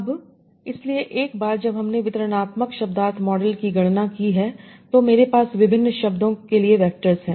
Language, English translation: Hindi, Now, so once we have computed the distributional semantic model, so I have the vectors for different words